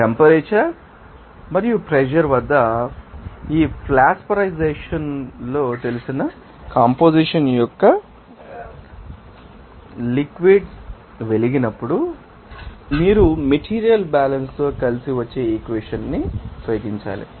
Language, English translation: Telugu, When a liquid of known composition flashes in Flash vaporization at unknown temperature and pressure, you must use that equation that will follows together with a material balance